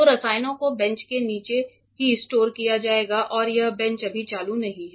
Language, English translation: Hindi, So, the chemicals will be stored just below the bench itself and this bench is right now not switched on